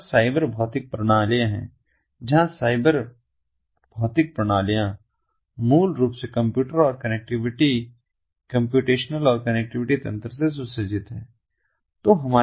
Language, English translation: Hindi, we have the cyber physical systems, where the cyber ah ah, ah, the physical systems are basically equipped with computer and connectivity, computational and connectivity mechanisms